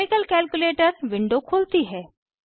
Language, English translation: Hindi, Chemical calculator window opens